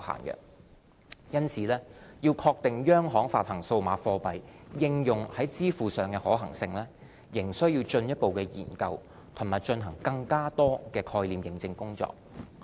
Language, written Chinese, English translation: Cantonese, 因此，要確定央行發行數碼貨幣應用在支付上的可行性，仍需進一步研究和進行更多概念驗證工作。, As a result CBDC remains a subject which requires further study and more proof - of - concept work to ascertain its feasibility for payment applications